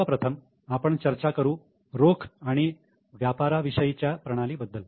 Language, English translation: Marathi, Now first we will discuss about cash system and mercantile system